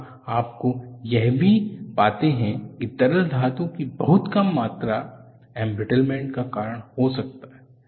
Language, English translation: Hindi, Here also you find, very small amounts of Liquid metal, can cause embrittlement, and where do they come from